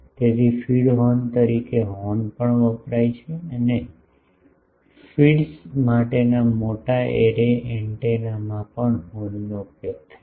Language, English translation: Gujarati, So, as a feed horn also horns are used and also in large array antennas the for feeds etc